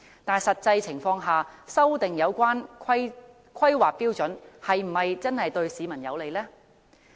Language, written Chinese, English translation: Cantonese, 但修訂有關標準是否真的對市民有利？, Is it really beneficial to the public to amend the relevant standards?